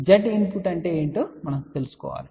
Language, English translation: Telugu, We need to find what is Z input